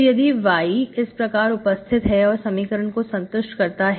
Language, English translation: Hindi, So if y is there, it satisfies this equation